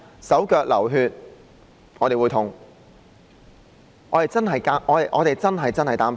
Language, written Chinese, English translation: Cantonese, 手腳流血，我們會痛，我們真的很擔心。, If our buddies bleed we will feel the pain and we will truly be worried